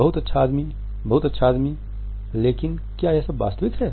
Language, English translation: Hindi, Very good man very good man, but is it all genuine